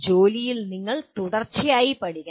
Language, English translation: Malayalam, You have to learn continuously on the job